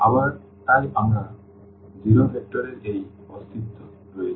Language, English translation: Bengali, Again, so, we have this existence of the 0 vector